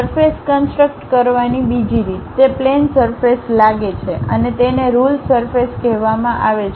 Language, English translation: Gujarati, The other way of constructing surfaces, it locally looks like plane surfaces are called ruled surfaces